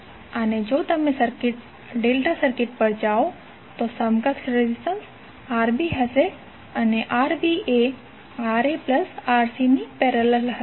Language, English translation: Gujarati, And if you go to the delta circuit, the equivalent resistance would be Rb and Rb will have parallel of Rc plus Ra